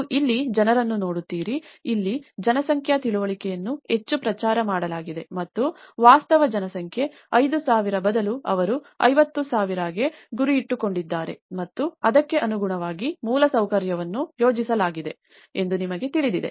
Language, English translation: Kannada, Do you see any people, you know here the demographic understanding has been hyped a lot from 5,000 and they have aimed for 50,000 and the infrastructure is planned accordingly